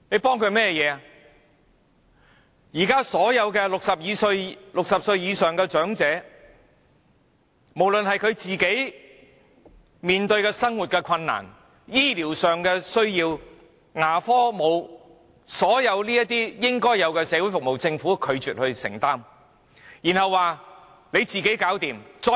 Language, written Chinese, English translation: Cantonese, 對於現時所有60歲或以上的長者所面對的生活困難，以至他們所需的醫療服務、牙科服務和所有應有的社會服務，政府均拒絕承擔責任。, The Government has refused to take responsibility for the livelihood difficulties currently faced by all elderly people aged 60 or above the health care and dental services they need and all the social services they are entitled to